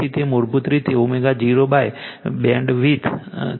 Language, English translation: Gujarati, So, it is basically W 0 by BW bandwidth